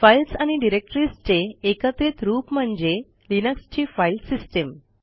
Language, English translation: Marathi, Files and directories together form the Linux File System